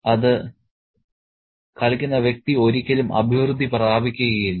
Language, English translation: Malayalam, The person playing it never prospers